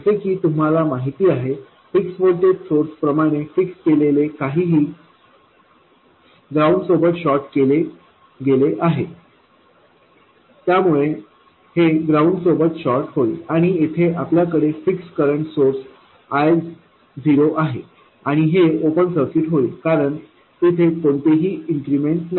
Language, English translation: Marathi, As you know, anything that is fixed such as a fixed voltage source that is shorter to ground so this will get shorter to ground and here we have a fixed current source I 0 and this becomes an open circuit because there is no increment in that it becomes zero in the small signal incremental picture this is an open circuit